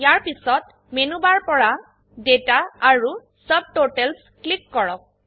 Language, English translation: Assamese, From the Menu bar, click Data and Sort